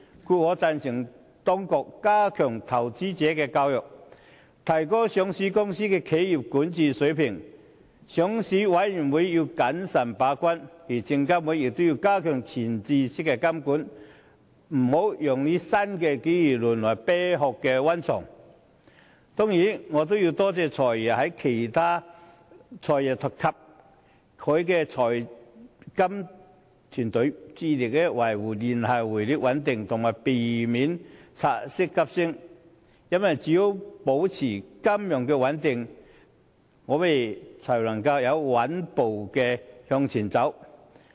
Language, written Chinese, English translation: Cantonese, 故此，我贊同當局加強投資者教育，提高上市公司的企業管治水平，上市委員會要謹慎把關，而證監會也要加強前置式監管，不要讓新機遇淪為"啤殼"溫床。我也感謝"財爺"及其財金團隊，致力維護聯繫匯率穩定，避免港元拆息急升，因為只有保持金融穩定，我們才能穩步前行。, Hence I agree that the authorities should enhance investor education and raise the standard of corporate governance of listed companies . The Listing Committee needs to keep the gate carefully while SFC also needs to strengthen front - loaded regulation so that the new opportunities will not be exploited as a hotbed for the formation of shell companies I also thank the Financial Secretary and his fiscal management team for their dedicated efforts at preserving the stability of the linked exchange rate and avoiding drastic increase of the Hong Kong interbank offered rate because it is only when financial stability is maintained that we can move forward steadily